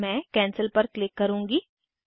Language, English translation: Hindi, I will click on Cancel